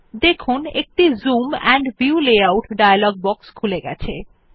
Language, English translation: Bengali, You see that a Zoom and View Layout dialog box appears in front of us